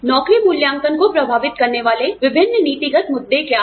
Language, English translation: Hindi, What are the different policy issues, affecting job evaluation